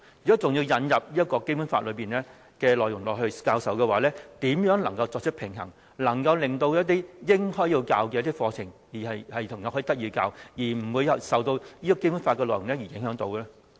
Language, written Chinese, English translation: Cantonese, 所以，我想請問副局長，如果再引入教授《基本法》安排的話，如何作出平衡，能夠令一些應該要教授的課程內容得以獲教授，不會受到教授《基本法》的安排所影響呢？, Therefore if arrangements for teaching the Basic Law are still added to the curriculum can I ask the Under Secretary how he can strike a balance so that the curriculum contents which should be taught can still be taught without being affected by the teaching of the Basic Law?